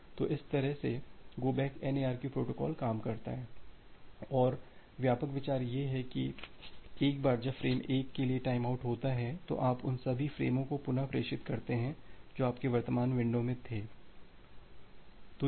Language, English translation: Hindi, So, that way this entire go back N ARQ protocol works and the broad idea is here that once this time out for 1 frame occurs, then you retransmit all the frames which were there in your current window